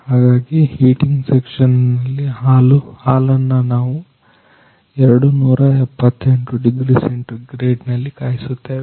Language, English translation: Kannada, Hence in the heating section, we are heating the milk 278 degree centigrade